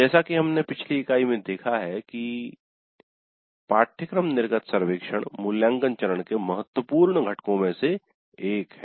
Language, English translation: Hindi, As we saw in the last unit course exit survey is one of the important components of the evaluate phase